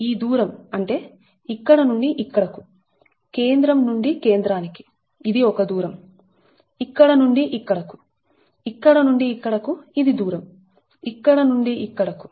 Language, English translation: Telugu, distance means, ah, here, know, from here to here, centre to centre, this is one distance here to here, here to here, this is distance